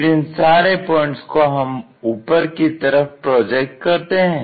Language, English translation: Hindi, Then, project all these points down